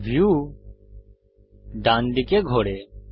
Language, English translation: Bengali, The view rotates to the right